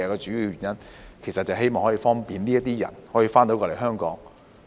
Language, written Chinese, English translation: Cantonese, 主要原因是希望方便這些人可以回港。, The main reason is to facilitate these people to return to Hong Kong